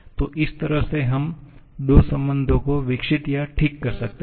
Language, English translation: Hindi, So, this way we can develop or recover two of the relations